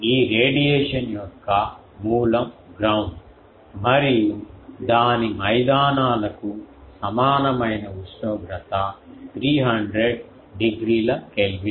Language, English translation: Telugu, Ground is the source of this radiation and its grounds equivalent temperature is around 300 degree Kelvin